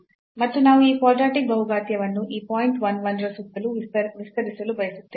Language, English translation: Kannada, And we want to expand this only the quadratic polynomial around this point 1 1